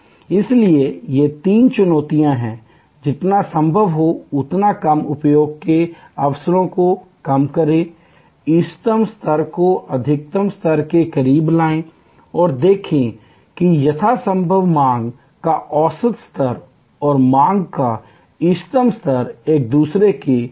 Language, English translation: Hindi, So, there are these three challenges, reduce the occasions of low utilization as much as possible, bring the optimum level as close to the maximum level as possible and see that the average level of demand and optimal level of demand are as close to each other as possible